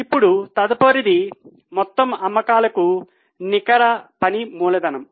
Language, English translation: Telugu, Now the next is net working capital to total sales